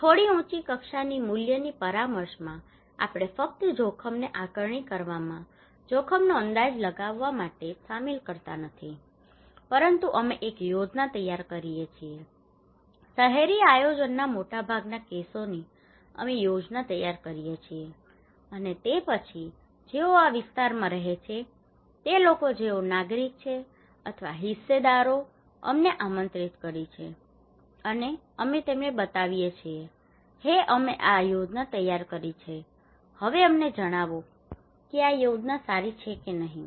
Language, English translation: Gujarati, In little higher level value consultations we not only involve them in assessing the risk, estimating the risk but we prepare a plan most of the cases in urban planning we prepare the plan and then those who are living in this areas those who are the citizens or the stakeholders we invite them, and we show them, hey we prepared this plan now tell us this plan is good or not